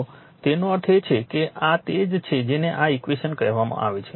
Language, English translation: Gujarati, So, ; that means, this is your what you call this equation is written